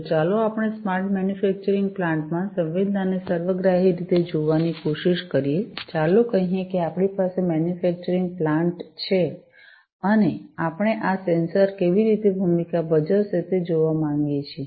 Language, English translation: Gujarati, So, let us try to look at the sensing holistically in a, smart manufacturing plant, let us say that we have a manufacturing plant, and we want to look at how these sensors, play a role